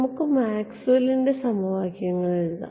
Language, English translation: Malayalam, No let us just write down what Maxwell’s equation say Maxwell’s equation say